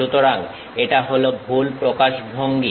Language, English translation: Bengali, So, this is a wrong representation